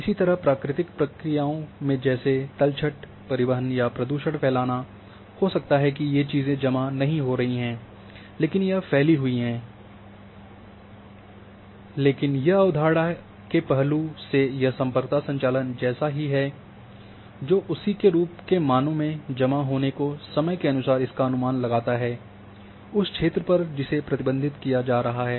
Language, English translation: Hindi, Similarly in natural phenomenon also like in sediment transport or in in pollution spreading or other thing and these thing are might may not be accumulating, but it is a spread, but the concept wise it is same that the connectivity operation estimate values by accumulating them over the time, over the area that is being traversed